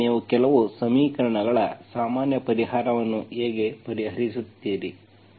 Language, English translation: Kannada, So this is how you solve the general solution of certain equations